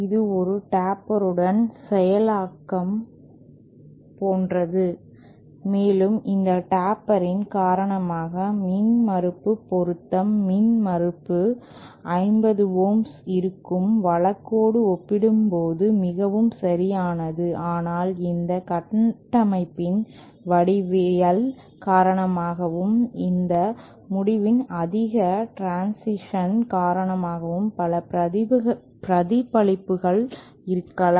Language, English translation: Tamil, This is like a tapered implementation and because of this taper, the impedance matching is more perfect as compared to just this case where the impedance is 50 ohms but because of the geometry of this structure, because of the sharp transition at this end, there might be multiple reflections